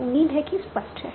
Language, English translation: Hindi, So if that is clear